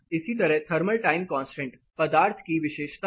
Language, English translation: Hindi, Similarly, thermal time constant is a material property